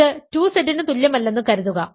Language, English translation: Malayalam, Suppose it is not equal to 2Z